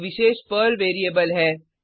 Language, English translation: Hindi, @ is a special Perl variable